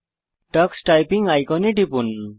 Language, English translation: Bengali, Click the Tux Typing icon